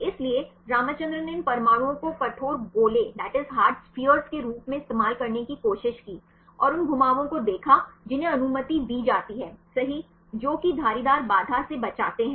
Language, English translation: Hindi, So, Ramacahndran he tried to use these atoms as the hard spheres and see the rotations which are allowed right which avoid the steric hindrance